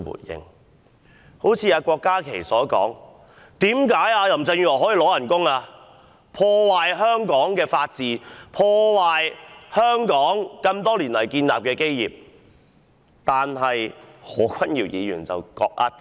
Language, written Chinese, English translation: Cantonese, 一如郭家麒議員所質疑：林鄭月娥破壞香港的法治和香港多年來所建立的基業，為何她還可以領取工資？, Just as Dr KWOK Ka - ki has questioned Given her acts that served to destroy Hong Kongs rule of law and its foundation that had taken years to build how come she is still paid a salary?